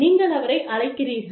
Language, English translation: Tamil, You call the employee